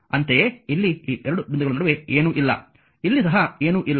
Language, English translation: Kannada, Similarly, here also nothing is there in between these 2 point, here also nothing is there